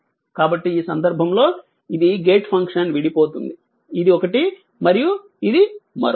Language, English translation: Telugu, So, in this case this is a decomposition of the gate function; this one and this one